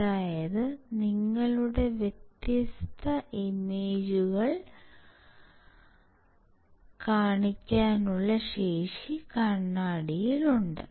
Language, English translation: Malayalam, That means, the mirror has a capacity to show you different images